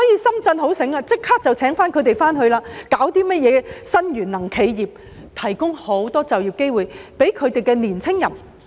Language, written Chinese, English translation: Cantonese, 深圳很聰明，立即聘請他們回去工作，推出新能源企業，並提供很多就業機會給青年人。, Shenzhen is so smart that it immediately hired them to work and developed new energy enterprises . It has also provided many job opportunities for young people